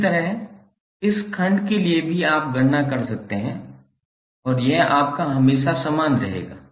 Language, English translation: Hindi, Similarly, for this segment also you can calculate and this will always remain same